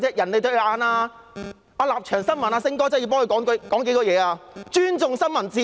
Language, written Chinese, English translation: Cantonese, 我真的要為《立場新聞》的"星哥"發聲，還說甚麼尊重新聞自由？, I need to speak for Brother Sing a reporter of Stand News . What is the point of bragging about their respect for a free press?